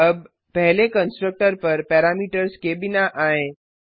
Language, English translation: Hindi, Now let us first come to the constructor with no parameters